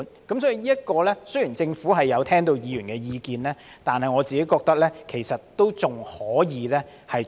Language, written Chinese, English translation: Cantonese, 這方面，雖然政府已聆聽議員的意見，但我認為還可以多做一點。, The Government has heeded the advice of Members in this regard but I think more can be done